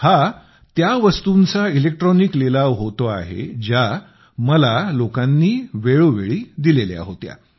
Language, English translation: Marathi, This electronic auction pertains to gifts presented to me by people from time to time